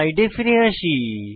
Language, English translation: Bengali, Lets switch back to slides